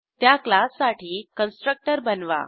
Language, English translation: Marathi, Create a constructor for the class